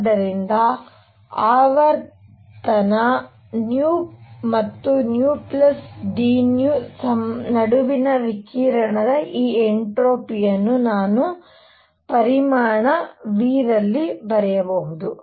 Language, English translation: Kannada, So, I can write this entropy of radiation between frequency nu and nu plus d nu, right, in volume V